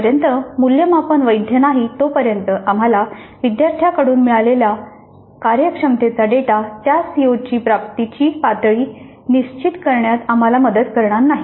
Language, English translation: Marathi, Unless the assessment is valid, the performance data that we get from the students will not be of any help to us in determining what is the level of attainment of that CO